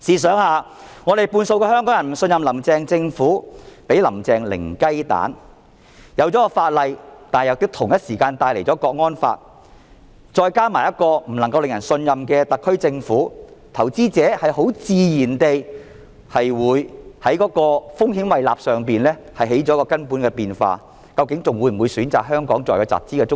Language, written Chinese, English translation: Cantonese, 雖然訂立了相關法例，但同時間又引入了《港區國安法》，再加上一個不能夠令人信任的特區政府，投資者很自然地會在風險胃納方面起了根本的變化，究竟還會否選擇香港作為集團中心？, Even though this piece of legislation is enacted the introduction of the National Security Law in HKSAR at the same time in addition to an untrustworthy HKSAR Government will naturally change investors risk tolerance and appetite . Will they choose Hong Kong as the headquarters for their group of companies?